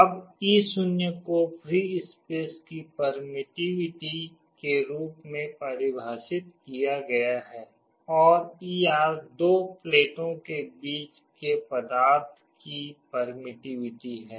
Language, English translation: Hindi, Now, e 0 is defined as the permittivity of free space, and e r is the permittivity of the material between the two plates